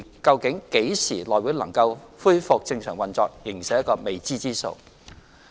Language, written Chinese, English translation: Cantonese, 究竟內會何時能夠恢復正常運作，仍是一個未知之數。, It remains an unknown when the House Committee will resume normal operation